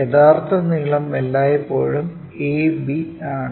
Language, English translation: Malayalam, The true length always be a b